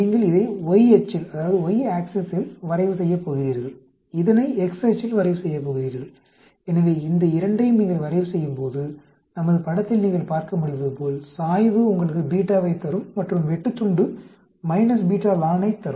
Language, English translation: Tamil, You are going to plot this in the y axis, this in the x axis, so when you plot these 2, as you can see from our figure, slope will give you the beta and the intercept will give minus beta lon n